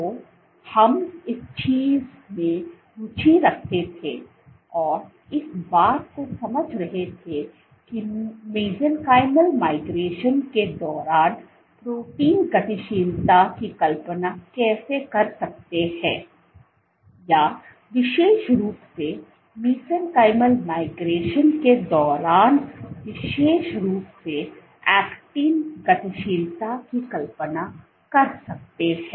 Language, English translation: Hindi, So, what we were interested in was understanding how can we visualize protein dynamics during mesenchymal migration or specifically actin dynamics during mesenchymal migration